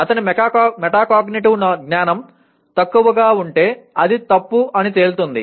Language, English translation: Telugu, If his metacognitive knowledge is poor it will turn out to be wrong